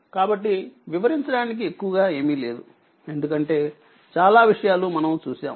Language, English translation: Telugu, So, not much to explain for this because many things we have done